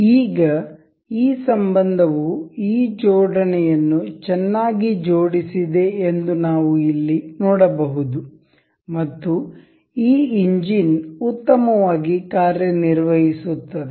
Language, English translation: Kannada, Now, we can see here that this relation is this assembly is very well assembled, and this engine works nice and good